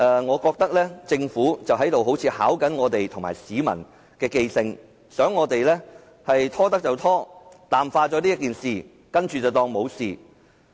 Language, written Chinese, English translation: Cantonese, 我覺得政府好像在考驗議員和市民的記性，想"拖得就拖"，淡化這事，最終不了了之。, I have a feeling that the Government is testing the memory of Members and the public; it adopts a stalling tactic in the hope that the incident will fade away from our memory and the matter will ultimately be left unsettled